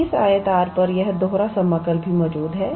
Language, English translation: Hindi, This double integral also exist on this rectangle R